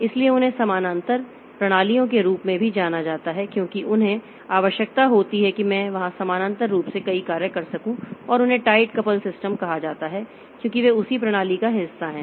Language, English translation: Hindi, So, they are also known as parallel systems because they need, I can do several tasks parallel there and they are called tightly coupled system because they are part of the same system